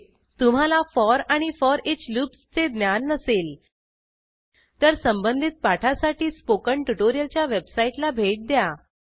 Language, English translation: Marathi, Please Note: If you are not aware of for and foreach loops, please go through the relevant spoken tutorials on spoken tutorial website